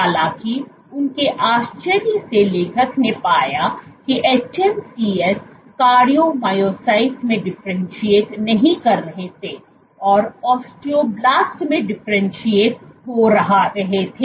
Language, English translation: Hindi, However, to their surprise the author showed observed that the hMSCs were not differentiating into cardiomyocytes were differentiating into osteoblasts